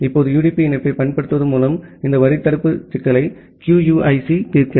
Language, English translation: Tamil, Now, QUIC solves this head of line blocking problem by using UDP connection